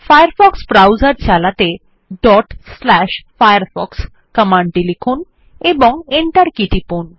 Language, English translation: Bengali, To launch the Firefox browser, type the following command./firefox And press the Enter key